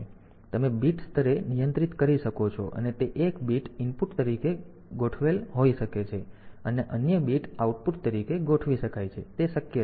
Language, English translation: Gujarati, So, you can to control at the bit level may be one bit is configured as input, other bit configure as output; so, that is possible